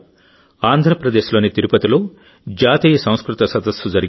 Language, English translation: Telugu, At the same time, 'National Sanskrit Conference' was organized in Tirupati, Andhra Pradesh